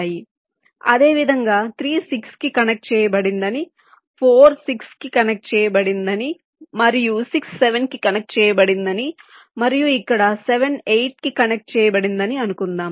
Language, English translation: Telugu, so, similarly, say, three is connected to six, four is connected to six and six is connected to seven, and here seven is connected to eight, this one